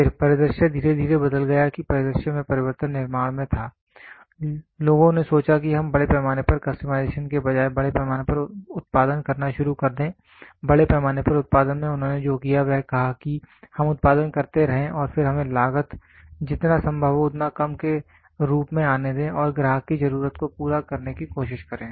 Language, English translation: Hindi, Then the scenario slowly changed that the change in scenario was in manufacturing people thought of let us start making mass production rather than mass customization, in mass production what they did was they said let us keep on producing and then let us make the cost come as low as possible and try to cater up to the customer need